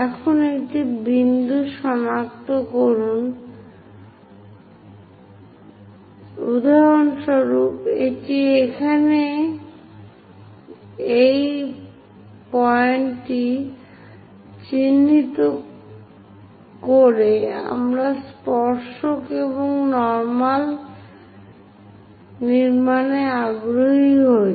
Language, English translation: Bengali, Now locate a point, for example, this one; let us mark this point here, I am interested to construct tangent and normal